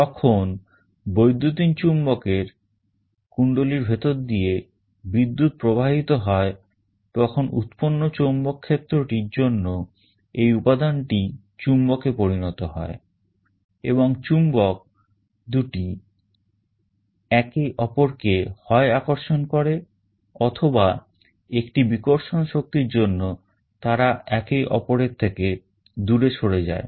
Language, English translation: Bengali, When current flows through the coil of the electromagnet due to the magnetic field produced this material becomes a magnet and the two magnets either attract each other or there will be a repulsive force there will move away from each other